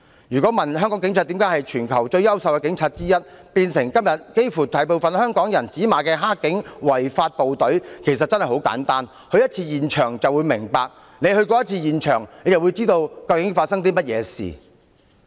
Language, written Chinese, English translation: Cantonese, 如果問香港警察為何由全球最優秀的警察之一，變成今天幾乎大部分香港人指罵的"黑警"、違法部隊，答案其實真的很簡單，只要去過一次示威衝突現場便會明白，只要去過一次現場便會知道究竟發生了甚麼事。, If you ask me why the Hong Kong Police has degraded from one of the worlds finest to become dirty cops or the law - breaking force to be condemned by most of the people in Hong Kong today I will say that the answer is actually very simple . If you are present at the scene of conflict during the protest even if you have only been at the scene for one time you will still know what has actually happened